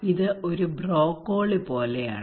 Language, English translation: Malayalam, It is like broccoli